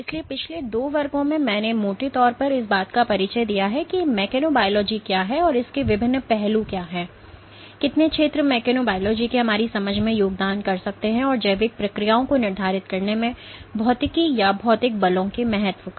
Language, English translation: Hindi, So, in the last two classes I have broadly introduces to what constitutes mechanobiology and what are the different aspects of it, how multiple fields can contribute to our understanding of mechanobiology, and the importance of physics or physical forces in dictating biological processes